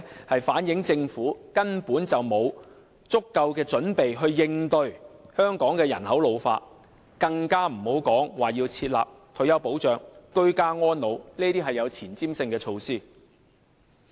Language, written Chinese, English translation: Cantonese, 它反映出政府根本沒有足夠準備應對香港人口老化，更遑論設立退休保障、居家安老這些有前瞻性的措施。, It reflects that the Government has not made adequate preparation for tackling an ageing population in Hong Kong not to mention implementing more forward looking initiatives such as establishing a retirement protection system and ageing at home